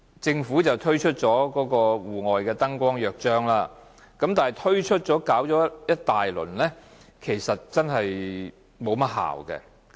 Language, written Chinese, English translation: Cantonese, 政府推出了《戶外燈光約章》，但擾攘一番後，卻不見得有何效用。, When the hustle and bustle died down after the introduction of the Charter on External Lighting it does not seem to have any effect